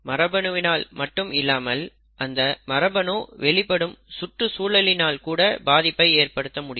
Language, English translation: Tamil, Not just the gene, the environment in which the gene is expressed could have an impact